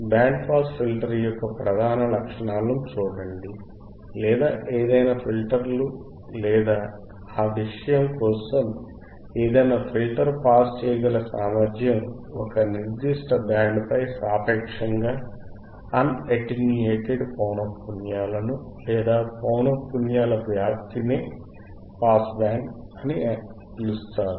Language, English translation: Telugu, See the principal characteristics of a band pass filter or any filter for that matter is it is ability to pass frequencies relatively un attenuated over a specific band, or spread of frequencies called the pass band